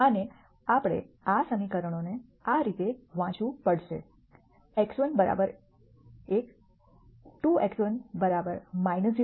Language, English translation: Gujarati, And we have to read these equations as x 1 equal to 1, 2 x 1 equal to minus 0